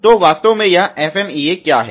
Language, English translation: Hindi, So, what really is this FMEA